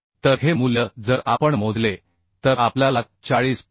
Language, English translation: Marathi, 232 So these value if we calculate we will get 40